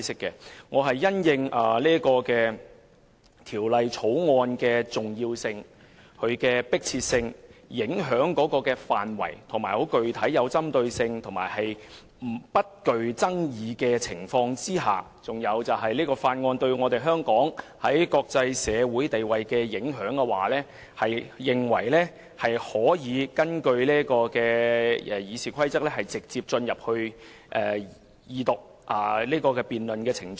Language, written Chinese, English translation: Cantonese, 經考慮《條例草案》的重要性、迫切性、影響範圍、具針對性及不具爭議性的地方，以及對香港的國際社會地位的影響後，我根據《議事規則》，動議本會直接進入二讀辯論的程序。, Having considered the Bills significance urgency scope of impact targeted and non - controversial areas as well as its impacts on Hong Kongs international status I move under RoP that the Council proceeds directly to the Second Reading debate of the Bill